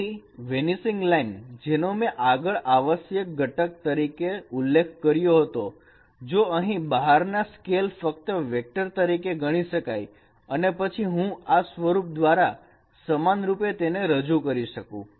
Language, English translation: Gujarati, So the vanishing line as I was mentioning the essential component if I take out the scales can be considered only this vector and then I can represent equivalently by this form also